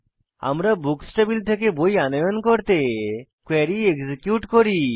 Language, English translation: Bengali, We execute query to fetch books from Books table